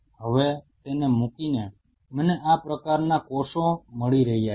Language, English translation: Gujarati, Now putting it now I am getting cells of these kinds